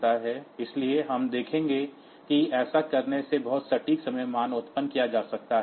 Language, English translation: Hindi, So, we will see that very precise time values can be generated by doing this think